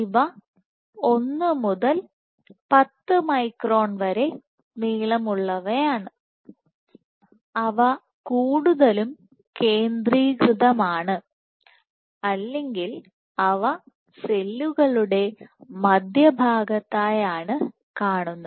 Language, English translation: Malayalam, These are 1 to 10 microns in length, and they are present more centrally